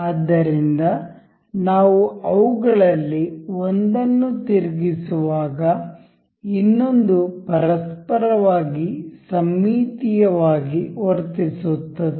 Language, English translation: Kannada, So, as we rotate one of them, the other one behave symmetrically about each other